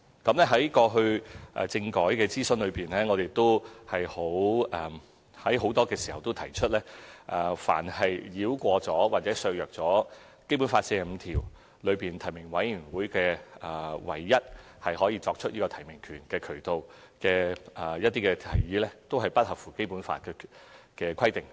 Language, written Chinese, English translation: Cantonese, 在過去的政改諮詢中，我亦在很多時候提出，凡是繞過或削弱《基本法》第四十五條中關於提名委員會作為唯一提名機構的提議，都不符合《基本法》的規定。, I have pointed out repeatedly in previous consultations on constitutional reform that proposals which seek to bypass or weaken the nominating committee as the only nomination body as stipulated in Article 45 of the Basic Law are deemed contravening the Basic Law